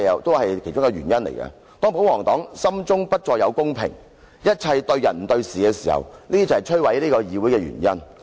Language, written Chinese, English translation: Cantonese, 當保皇黨心中不再有公平，一切對人不對事時，這正是摧毀議會的原因。, When the royalists do not care about fairness and are only concerned about people rather than facts this Council is ruined